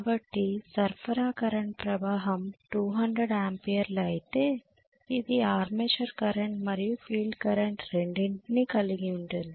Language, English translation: Telugu, So if the supply current is 200 amperes this consist of both armatures current and as well as field current